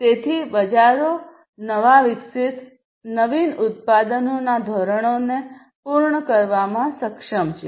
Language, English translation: Gujarati, So, markets are able to meet the standards of newly developed innovative products